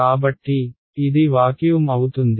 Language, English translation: Telugu, So, it is vacuum right